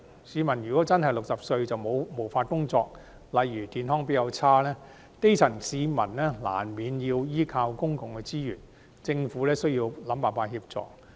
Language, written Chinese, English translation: Cantonese, 市民如果年屆60歲便真的無法工作，例如因為健康較差，基層市民難免要依靠公共資源，政府需要想辦法協助。, If people really cannot work after reaching 60 years of age due to for example poor health the grass roots will inevitably rely on public resources and the Government thus needs to figure out ways to help them